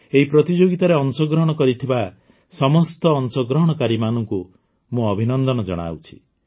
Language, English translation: Odia, Many many congratulations to all the participants in these competitions from my side